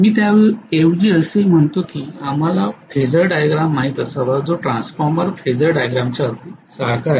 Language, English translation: Marathi, I am rather saying that we should know the Phasor diagram which is very very similar to transformer Phasor diagram